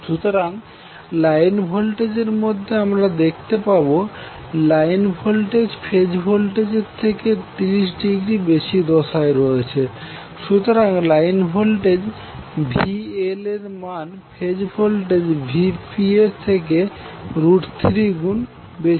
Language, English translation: Bengali, So in the line voltage you will see that these are leading with respect to their phase voltages by 30 degree, so we also see that the line voltage is now root 3 times of the phase voltage in magnitude